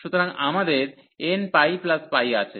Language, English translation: Bengali, So, we have n pi plus pi